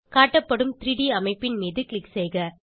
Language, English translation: Tamil, Click on the displayed 3D structure